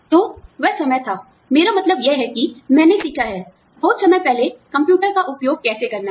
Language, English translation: Hindi, So, that was the time, I mean, that is how, I learnt, how to use a computer, long time back